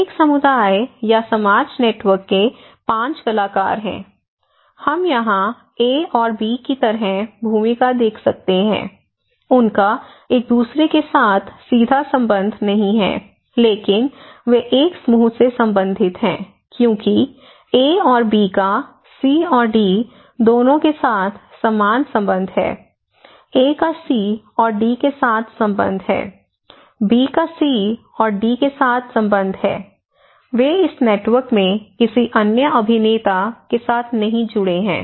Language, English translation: Hindi, So, like here you can imagine that this is a community or society network total Y, there are five actors so, we can see the role here like A and B, they do not have direct relationship with each other, but they belong to one group why; because A and B have same interrelationship with C and D like both A; A has a relationship with C and D similarly, B has a relationship with C and D, they are not connected with any other actors in this network